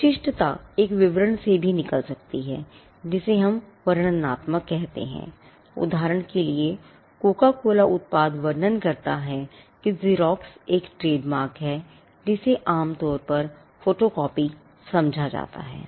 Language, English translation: Hindi, The distinctiveness can also come out of a description, what we call descriptive; for instance, Coca Cola describes the product, the product being cola